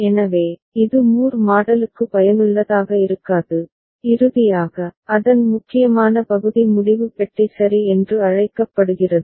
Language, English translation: Tamil, So, it will not be useful for Moore model and finally, the important part of it is called decision box ok